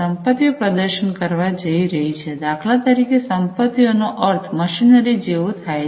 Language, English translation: Gujarati, The assets are going to perform, you know, the for example assets means like machinery etcetera